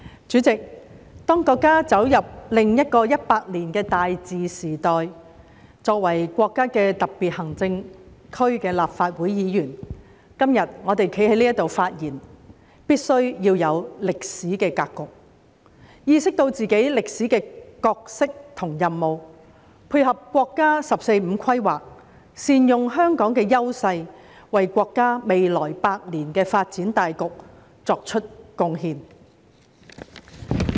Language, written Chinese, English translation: Cantonese, 主席，當國家走入另一個100年的大治時代，作為國家的特別行政區的立法會議員，我們今天站在這裏的發言，必須要清楚歷史的格局，意識到自己的歷史角色和任務，配合國家"十四五"規劃，善用香港的優勢，為國家未來百年的發展大局作出貢獻。, President as the country enters another century of great governance we as Members of the Legislative Council of the Special Administrative Region of the country standing here to deliver our speeches today must be clear about the historical situation aware of our historic role and mission and make good use of Hong Kongs strengths to support the National 14th Five - Year Plan and contribute to the overall development of the country in the next century